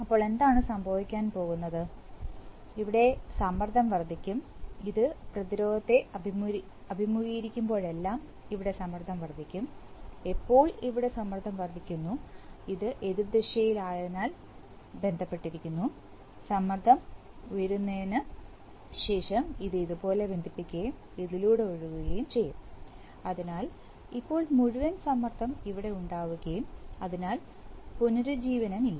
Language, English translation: Malayalam, Then what is going to happen is that the pressure here will build up, whenever this faces resistance the pressure here build up, when the pressure here will build up and this is opposite, so this is going to be connected like this, so now you see that it will be after the, after the pressure builds up it will connect like this and flow through this, so now across this there will be a full pressure and there is no regeneration